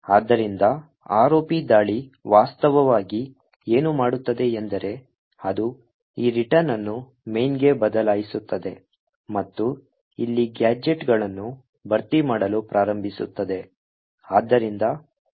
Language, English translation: Kannada, So, what an ROP attack actually does, is that it replaces this return to main and starts filling in gadgets over here